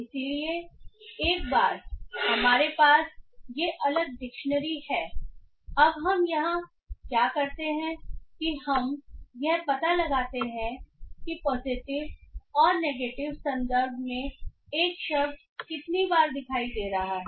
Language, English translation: Hindi, So once we have this separate dictionaries now what we do is do here is that we just find out how often a word is appearing in both positive and negative context